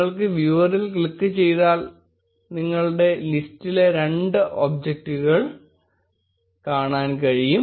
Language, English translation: Malayalam, And if you click on viewer you will be able to see two objects in the list